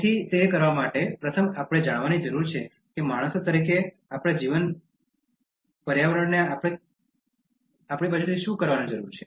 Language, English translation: Gujarati, So, in order to do that, first we need to know what is it that our living environment needs to be done from our side as human beings